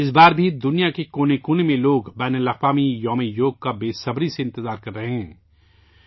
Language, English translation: Urdu, This time too, people in every nook and corner of the world are eagerly waiting for the International Day of Yoga